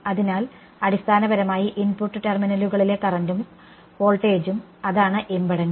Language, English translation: Malayalam, So, basically what is the current and voltage at the input terminals that is the impedance right